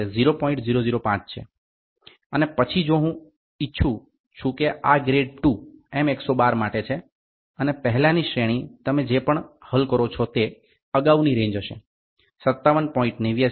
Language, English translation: Gujarati, 005 and then for if I want this is for grade II M 112 and the previous range will be range for the previous whatever you solve is 57